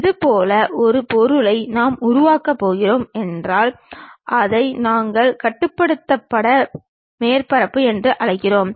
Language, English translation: Tamil, If we are going to construct such kind of object that is what we called ruled surface